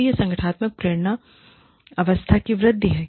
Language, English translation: Hindi, So, that is the enhancement of organizational motivation state